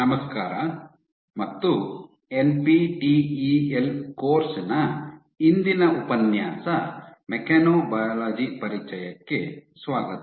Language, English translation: Kannada, Hello and welcome to our todays lecture of NPTEL course Introduction to Mechanobiology